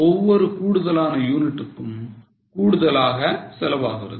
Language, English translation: Tamil, So, for every extra unit, there is an extra fixed cost